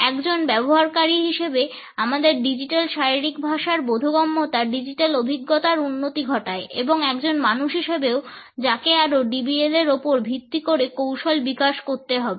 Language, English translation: Bengali, Our understanding of digital body language improves the digital experience as a user and also as a person who has to develop further strategies on the basis of DBL